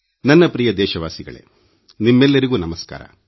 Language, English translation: Kannada, My dear countrymen, Namaskar to all of you